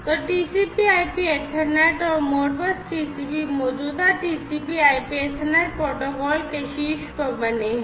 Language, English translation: Hindi, So, you have TCP/IP Ethernet and Modbus TCP built on top of the existing TCP IP Ethernet protocols